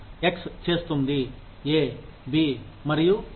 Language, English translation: Telugu, X will do, A, B, and C